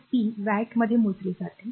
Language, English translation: Marathi, So, power is measured in watts